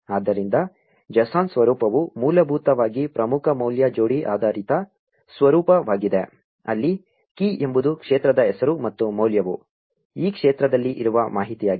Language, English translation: Kannada, So, the JSON format is essentially a key value pair based format, where the key is the name of the field and the value is the information present in this field